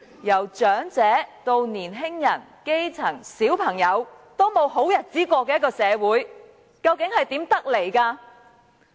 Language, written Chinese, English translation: Cantonese, 由長者至年青人、基層、小朋友也沒有好日子過的一個社會，究竟是如何得來？, Why is it that all members of society from the elderly young people the grass roots to children cannot lead a good life?